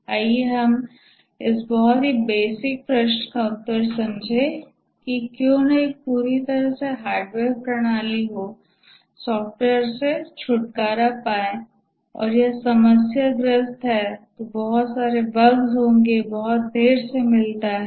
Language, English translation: Hindi, Let's answer this very basic question that why not have an entirely hardware system, get rid of software, it's problematic, expensive, lot of bugs, delivered late, and so on